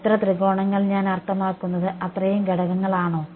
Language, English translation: Malayalam, As many triangles I mean as many elements